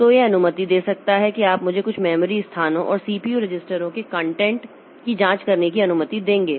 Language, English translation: Hindi, So it can it will allow you allow me to check the content of some of the memory locations and the CPU registers